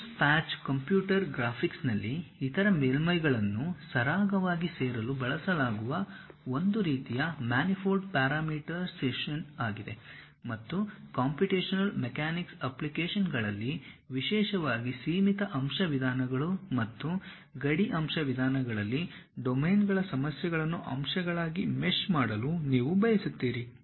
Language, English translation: Kannada, A Coons patch, is a type of manifold parameterization used in computer graphics to smoothly join other surfaces together, and in computational mechanics applications, particularly in finite element methods and boundary element methods, you would like to really mesh the problems of domains into elements and so on